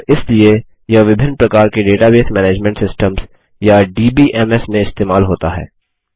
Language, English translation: Hindi, And so it is used in a variety of Database Management Systems or DBMS